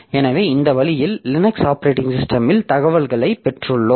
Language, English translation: Tamil, So, this way we can have, we have got information available in the Linux operating system